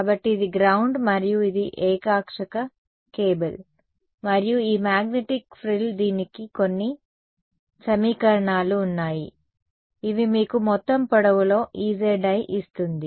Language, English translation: Telugu, So, this is ground and this is coax cable and this magnetic frill there are some equations for it which give you some E i z over the entire length ok